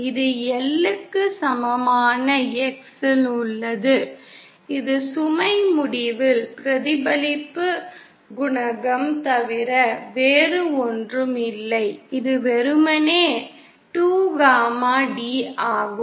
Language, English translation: Tamil, That is at X equal to L and this is nothing but the reflection coefficient at the load end and this is simply 2 gamma d